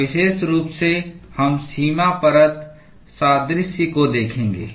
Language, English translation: Hindi, And specifically, we will be looking at the boundary layer analogy